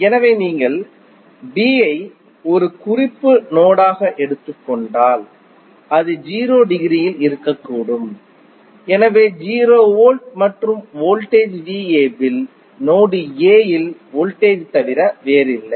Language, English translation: Tamil, So, if you take B as a reference node then it is potential can be at 0 degree, so at 0 volt and voltage V AB is nothing but simply voltage at node A